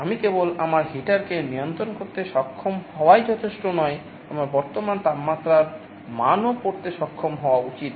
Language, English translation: Bengali, Like not only I should be able to control my heater, I should also be able to read the value of the current temperature